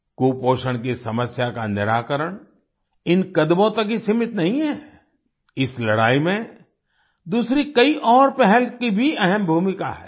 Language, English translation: Hindi, The solution to the malady of malnutrition is not limited just to these steps in this fight, many other initiatives also play an important role